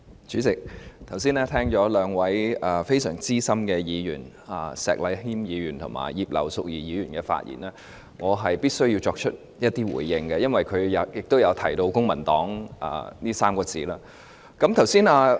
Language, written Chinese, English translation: Cantonese, 主席，剛才聽了兩位相當資深的議員——石禮謙議員和葉劉淑儀議員——的發言後，我必須作出一些回應，因為他們均提到"公民黨"這3個字。, President having just listened to the speeches delivered by two rather veteran Members namely Mr Abraham SHEK and Mrs Regina IP I feel obliged to make some responses because both of them have mentioned the Civic Party